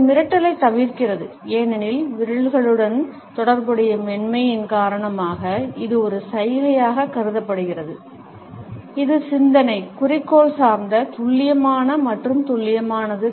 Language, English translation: Tamil, It avoids the intimidation, because of the softness associated with the fingers and therefore, it is perceived as a gesture, which is thoughtful, goal oriented, precise and accurate